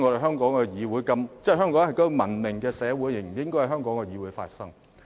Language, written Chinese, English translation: Cantonese, 香港是文明的社會，這些辯論根本不應該在香港的議會發生。, Hong Kong is a civilized society and such debates should simply not be held in the Council of Hong Kong